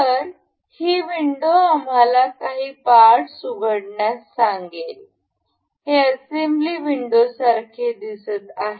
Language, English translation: Marathi, So, thus window will ask to us open some parts, this is the windowed look like for this assembly window